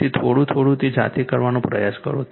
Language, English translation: Gujarati, So, little bitlittle bit you try to do it yourself right